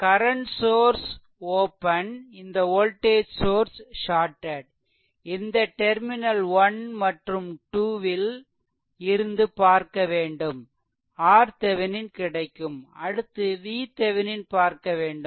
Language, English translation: Tamil, So, current sources open and this voltage sources is voltage sources shorted right and looking from in between terminal 1 and 2, you will get the R Thevenin right